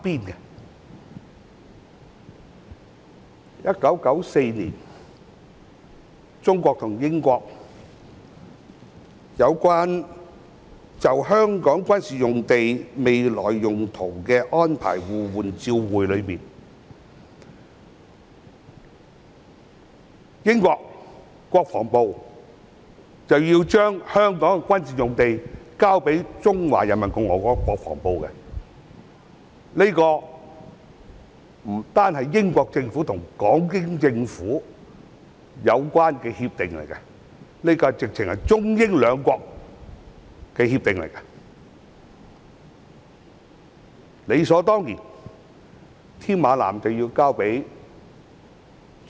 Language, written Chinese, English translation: Cantonese, 在1994年，中國和英國就香港軍事用地未來用途的安排互換照會，當中訂明英國國防部須將香港的軍事用地交予中華人民共和國國防部，這不單是英國政府與港英政府的協定，更是中英兩國之間的協定。, As specified in the Exchange of Notes between China and the United Kingdom on the Arrangements for the Future Use of the Military Sites in Hong Kong in 1994 the Ministry of Defence of the United Kingdom should hand over the military sites in Hong Kong to the Ministry of National Defense of the Peoples Republic of China . This is not only an agreement between the British Government and the British Hong Kong Government but also an agreement between China and the United Kingdom